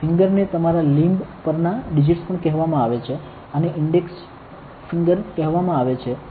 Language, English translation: Gujarati, So, fingers are also called digits on your limb, this is called a index finger